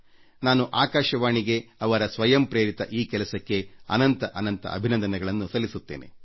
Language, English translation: Kannada, I felicitate All India Radio for this selfinspired initiative from the core of my heart